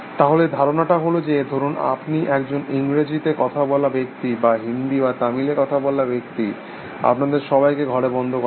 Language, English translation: Bengali, So, the idea is that, supposing you as a English speaking person; or whatever Hindi; or Tamil speaking person, you all locked up in the room